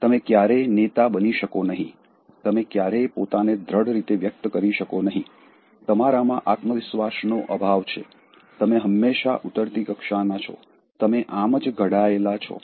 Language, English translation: Gujarati, You can never be a leader, you can never assert yourself, you can never be confident, you are always inferior, you are made up like this